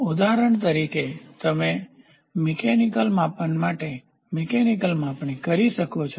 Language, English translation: Gujarati, For example, here you can have a mechanical measurement done for a mechanical measurement